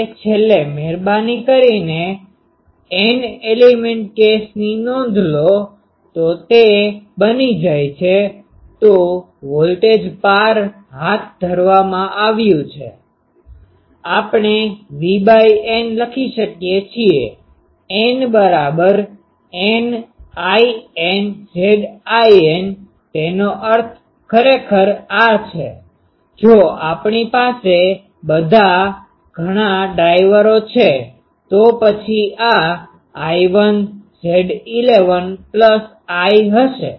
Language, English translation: Gujarati, Now, lastly please note the for n element case, it becomes that, so voltage across has conducted we can write V by N will be N is equal to 1 to N in Z in; that means, actually this is the, if we have so many drivers, then this will be I 1 Z 11 plus I 2 Z 12 plus I 3 Z 13 etc